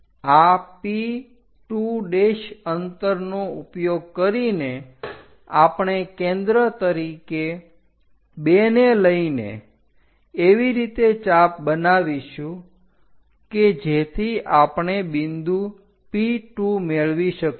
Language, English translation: Gujarati, Using this P2 prime that distance we are going to make an arc based on center 2 such that we will get P 2 point